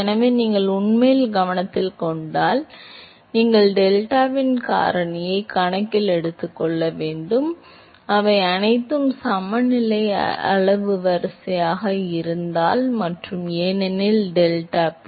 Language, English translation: Tamil, So, if you actually note that the; so, you have to factor of the delta into account, if all of them are equal order of magnitude and, because deltaP